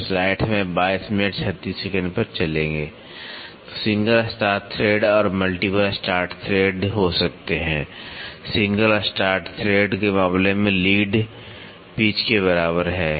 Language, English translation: Hindi, So, there can be single start thread and multiple start threads, in case of a single start thread the lead is equal to pitch